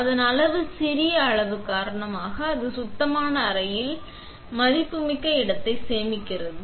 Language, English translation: Tamil, Because of its compact size, it also saves valuable space in the clean room